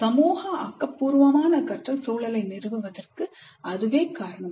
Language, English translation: Tamil, And that is the reason for establishing social constructivist learning environment